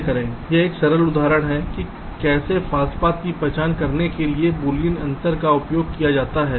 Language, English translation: Hindi, ok, this is a simple example how boolean difference can be used to identify a false path